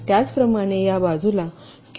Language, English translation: Marathi, similarly, on this side, this can be q four